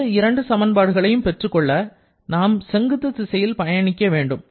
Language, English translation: Tamil, To get the other two, we have to make use of the verticals